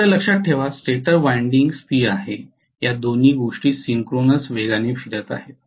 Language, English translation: Marathi, Please remember stator winding is stationary both these things are rotating at synchronous speed